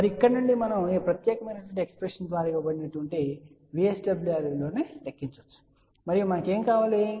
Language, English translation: Telugu, And from here we can calculate the value of VSWR which is given by this particular expression and so, what we need